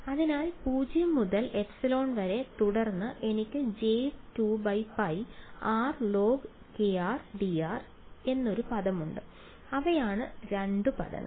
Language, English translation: Malayalam, So, 0 to epsilon and then I have a term which is j 2 by pi integral r times log of kr dr those are the two terms right